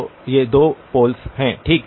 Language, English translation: Hindi, So these are two poles okay